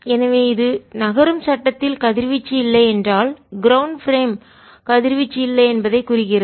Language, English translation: Tamil, and this, therefore, this implies, if there is no radiation in the moving frame, this implies there is no radiation in the ground frame also